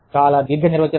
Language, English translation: Telugu, Very long definition